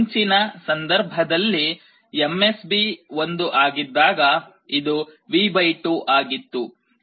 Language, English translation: Kannada, For the earlier case when the MSB is 1, it was V / 2